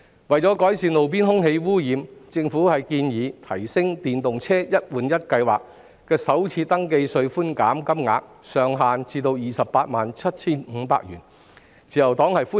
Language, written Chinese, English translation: Cantonese, 為改善路邊空氣污染問題，政府建議把電動車"一換一"計劃的首次登記稅寬免額上限提升至 287,500 元，自由黨對此表示歡迎。, To ameliorate the roadside air pollution problem the Government has proposed to raise the maximum FRT concession for electric vehicles EVs under the One - for - One Replacement Scheme to 287,500 . The Liberal Party welcomes this proposal